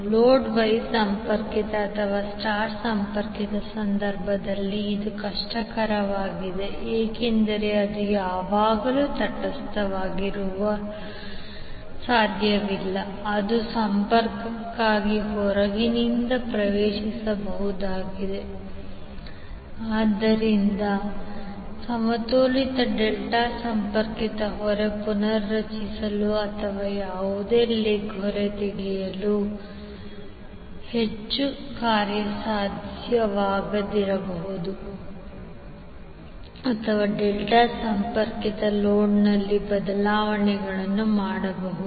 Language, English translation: Kannada, It is difficult is case of wye connected or star connected because it is not always possible to have neutral which is accessible from outside for the connection, so that is why the balanced delta connected load is more feasible for reconfiguring or taking any leg out or doing the changes in the delta connected load